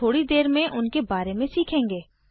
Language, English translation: Hindi, We will learn about them in a little while